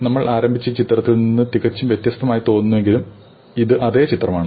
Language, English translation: Malayalam, Though it looks quite different from the picture that we started with, this is again the same network